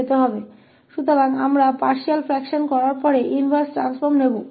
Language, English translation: Hindi, So, we will take the inverse transform after doing this partial fractions